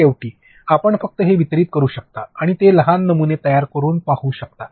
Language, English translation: Marathi, And finally, you can just deliver it and create those small prototypes and see